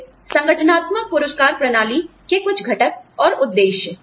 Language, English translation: Hindi, Then, some components and objectives of, organizational rewards systems